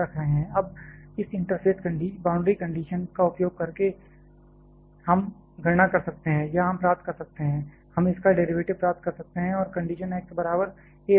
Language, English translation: Hindi, Now using this interface boundary condition, we can calculate, or we can derive, we can derivate get the derivative of this and put the condition x equal to a